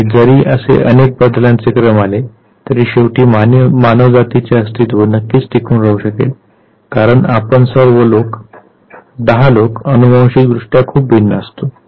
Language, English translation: Marathi, And if several several several such sequences come then also human race will finally succeed surviving, simply because all 10 of us were genetically very different